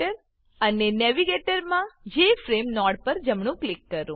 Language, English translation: Gujarati, And in the Navigator , right click the Jframe node